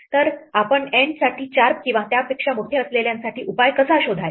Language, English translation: Marathi, How do we find a solution for N greater than or equal to 4